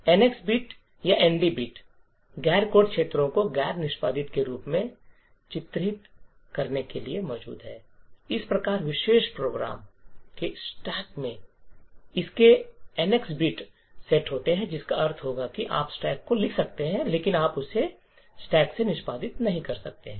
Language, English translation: Hindi, So, the NX bit or the ND bit is present to mark the non code regions as non executable thus the stack of the particular program would be having its NX bits set which would mean that you could write to the stack but you cannot execute from that stack